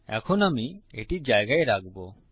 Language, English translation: Bengali, Now I will substitute these